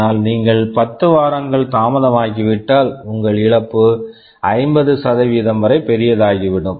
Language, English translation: Tamil, But if you are delayed by 10 weeks, your loss becomes as large as 50%